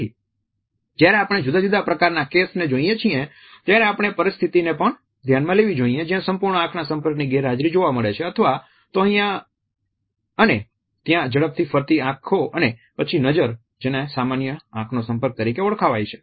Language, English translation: Gujarati, So, when we look at different types of case we have to look at the situation where there is an absolute absence of eye contact again which is shifty looking here and there then the gaze which is considered to be a normal eye contact and the normal eye contact is also different in different context